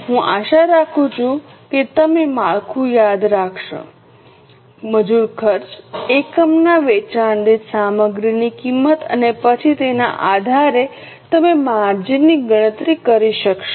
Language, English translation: Gujarati, Take the labour cost, material cost per unit, sales and then based on that you will be able to compute the margin